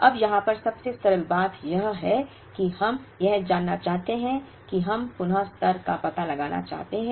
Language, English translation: Hindi, Now, the simplest thing to do here is, to say that we want to find out the reorder level